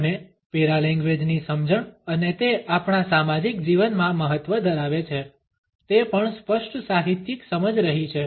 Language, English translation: Gujarati, And understanding of the paralanguage and it is significance in our social life has also been a clear literary understanding